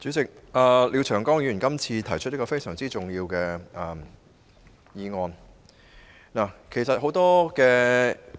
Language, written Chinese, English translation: Cantonese, 主席，廖長江議員今次提出了一項非常重要的議案。, President Mr Martin LIAO has moved a very important motion this time